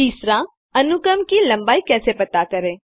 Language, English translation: Hindi, How do you find the length of a sequence